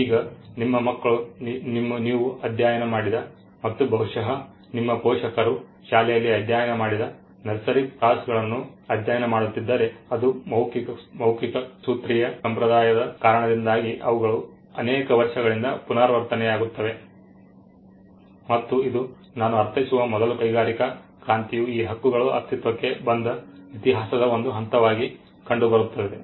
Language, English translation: Kannada, Now if your children are studying nursery rhymes which you studied and which probably your parents studied in school, that is because of the oral formulaic tradition they are the same ones which gets repeated over the years and this used to be a just before I mean the industrial revolution which is seen as a point in history where these rights came into being